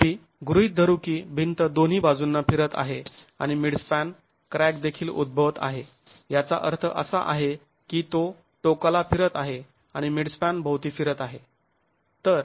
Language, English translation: Marathi, However, let's assume that the wall is rotating at both its ends and a mid span crack is also occurring which means it's rotating about its ends and rotating about the mid span